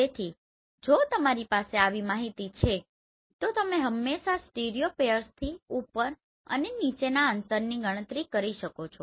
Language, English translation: Gujarati, So if you are having such information you can always calculate top and bottom distance from a stereopairs